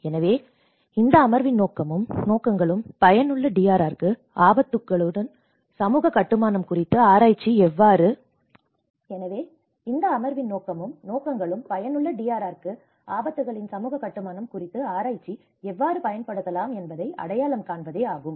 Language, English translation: Tamil, So, the purpose and objectives of this session were to identify how research on social construction of risks can be used for effective DRR